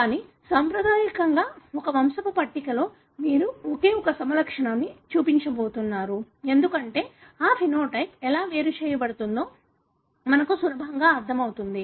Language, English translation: Telugu, But, traditionally in one pedigree chart you are going to show only one phenotype, because that makes it easier for us to understand how that phenotype is segregating